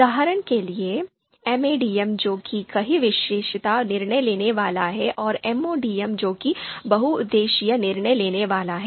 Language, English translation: Hindi, For example, MADM which is multiple attribute decision making and MODM which is multiple objective decision making